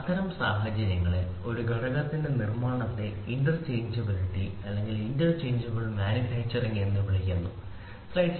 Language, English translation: Malayalam, The manufacturing of a component under such conditions is called as interchangeability interchangeable manufacturing, ok